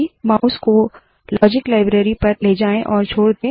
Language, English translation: Hindi, Move the mouse to the Logic library and release the mouse